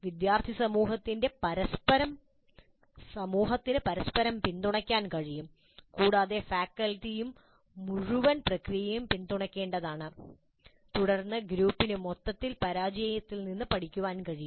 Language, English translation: Malayalam, The student community can support each other and faculty also must support the entire process and then it is possible that the group as a whole can learn from failures also